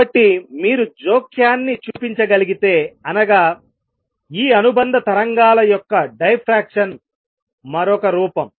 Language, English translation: Telugu, So, if you can show the interference another form of which is diffraction of these associated waves then we prove it